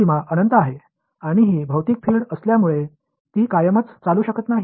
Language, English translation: Marathi, The boundary has is at infinity and because this is physical field it cannot go on forever